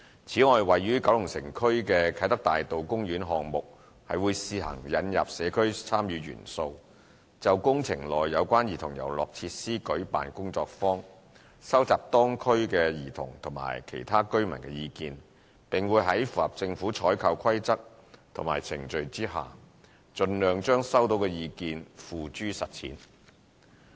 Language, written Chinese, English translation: Cantonese, 此外，位於九龍城區的啟德大道公園項目會試行引入社區參與元素，就工程內有關兒童遊樂設施舉辦工作坊，收集當區兒童及其他居民的意見，並會在符合政府採購規則及程序下，盡量將收到的意見付諸實踐。, In addition as a pilot plan workshops will be held to bring community involvement into the Kai Tak Avenue Park project in Kowloon City to gauge views from children and residents of the area on the provision of play equipment in the project . Suggestions received from the public will be put into practice as far as possible in accordance with government procurement regulations and procedures